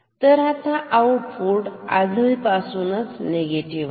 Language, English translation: Marathi, So, now this is now output is already negative